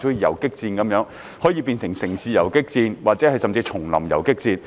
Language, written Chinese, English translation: Cantonese, 有時像游擊戰，既有城市游擊戰，也有叢林游擊戰。, Sometimes it is like guerrilla warfare which can be waged in both the urban areas and in the jungles